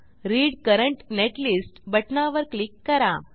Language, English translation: Marathi, Click on Read Current Netlist button